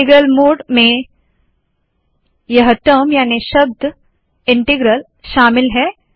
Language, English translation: Hindi, The integral mode includes the term this integral